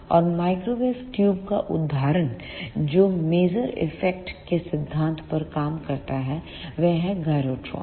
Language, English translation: Hindi, And the example of the microwave tubes which work on the principle of maser effect is gyrotron